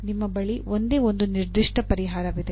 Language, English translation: Kannada, There is only one particular solution you have